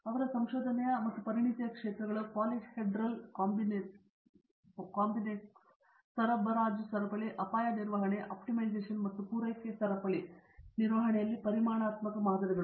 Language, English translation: Kannada, Her areas of research, areas of expertise include polyhedral combinatorics, supply chain, risk management, optimization and quantitative models in supply chain management